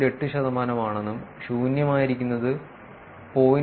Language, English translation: Malayalam, 8 percent, and empty is about 0